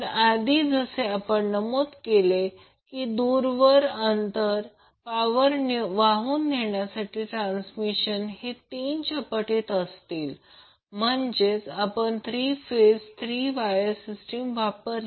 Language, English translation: Marathi, So as we mentioned earlier the long distance power transmission conductors in multiples of three, that is we have three phase three wire system so are used